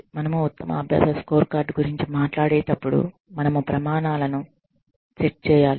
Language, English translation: Telugu, When we talk about the best practices scorecard, we need to set standards